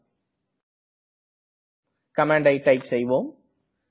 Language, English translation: Tamil, Let us try this command and see